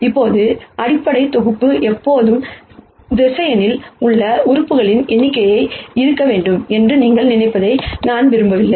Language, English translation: Tamil, Now, I do not want you to think that the basis set will always have to be the number of elements in the vector